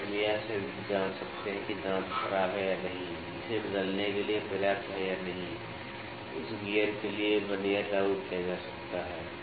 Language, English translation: Hindi, So, we can just check that is that tooth deteriorate is the wear and tear enough to replace that or not for that gear Vernier can be applied